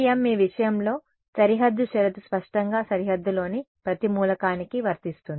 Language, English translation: Telugu, Yeah in the case of FEM your, I mean the boundary condition applies to every element on the boundary obviously